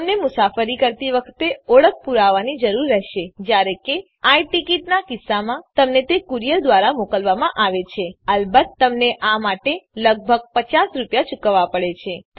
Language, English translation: Gujarati, You need identity proof at the time of travel however, In case of I Ticket it will be sent by a courier of course you have to pay for this about Rs 50